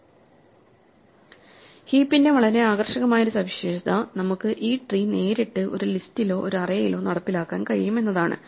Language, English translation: Malayalam, One very attractive feature of heaps is that we can implement this tree directly in a list or in an array